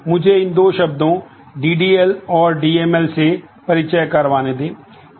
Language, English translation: Hindi, Let me introduce these two terms DDL and DML